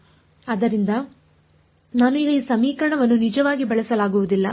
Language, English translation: Kannada, So, I cannot actually use this equation right now